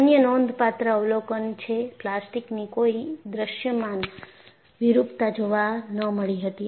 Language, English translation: Gujarati, The other significant observation is no visible plastic deformation was observed